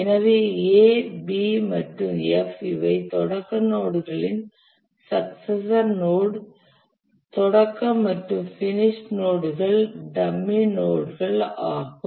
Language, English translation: Tamil, So A, B and F, these are the successor node of the start node, start and finish are dummy nodes